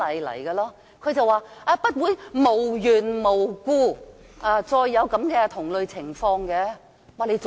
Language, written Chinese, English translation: Cantonese, "他回應不會無緣無故再出現同類情況。, In response the Secretary for Justice said that similar situations would not happen for no reason